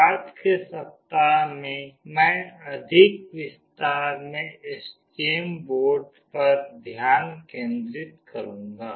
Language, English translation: Hindi, In the subsequent week I will be focusing on the STM board in more details